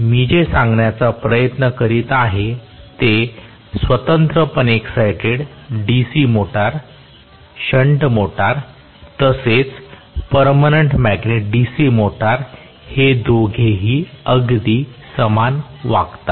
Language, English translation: Marathi, What I am trying to say is separately excited DC motor, shunt motor as well as permanent magnet DC motor all 3 of them behave very very similarly